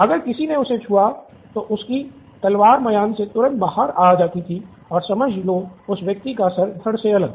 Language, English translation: Hindi, If somebody touched him, off came his sword and off came that person’s head